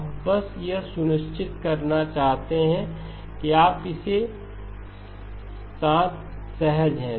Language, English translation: Hindi, Now just want to make sure that you are comfortable with this